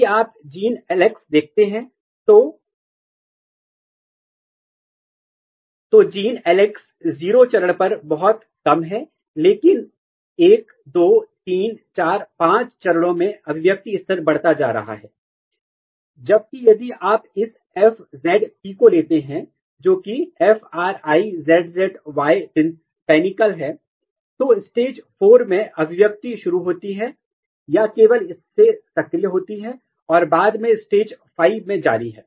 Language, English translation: Hindi, If you see the gene LAX, the gene LAX is very low at 0 stage but across the stages 1 2 3 4 5 the expression level is increasing, whereas if you take this FZP which is FRIZZY PANICLE, this is the expression starts or activates only from the stage 4 onwards and continue in the stage 5